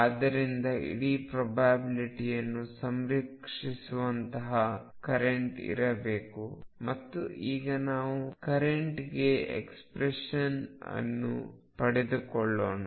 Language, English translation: Kannada, And therefore, there should be a current that makes the whole probability conserve, and let us now derive that expression for the current